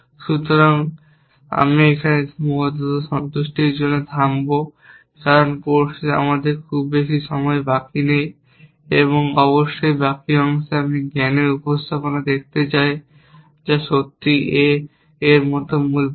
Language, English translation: Bengali, So, I will stop with constrain satisfaction here because we do not have too much time left in the course and in the remaining part of course I want to look at knowledge representations which is really a core of A I